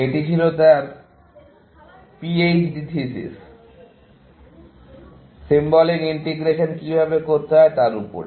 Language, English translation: Bengali, This was his PHD thesis on how to do symbolic integration